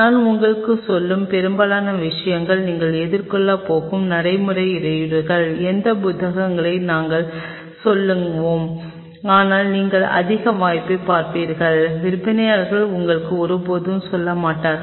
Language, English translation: Tamil, And much of the things what I am telling you are the practical hurdles you are going to face which the books we will tell, but you will over look most likelihood and the seller will never tell you